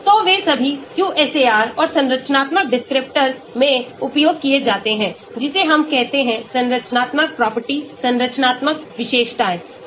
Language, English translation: Hindi, so they are all used in QSAR and structural descriptors we say, we say structural property, structural features